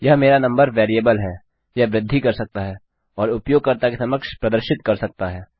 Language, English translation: Hindi, This is my number variable, this can increment and can be echoed out to the user